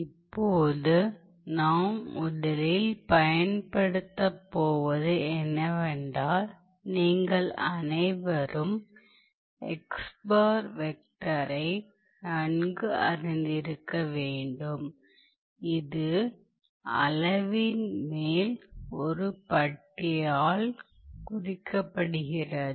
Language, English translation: Tamil, Now, the first thing that we are going to use the mathematical construct that we are going to use is that of a vector, as you must all be familiar or vector xbar which is denoted by a bar on the top of the quantity